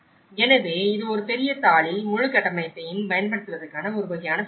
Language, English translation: Tamil, So, this is a kind of summary of applying the whole framework in one big sheet